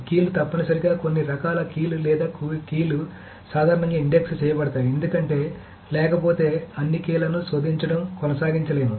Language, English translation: Telugu, So the keys, there must be some kind of keys are, keys are generally indexed because otherwise one cannot keep on searching all the keys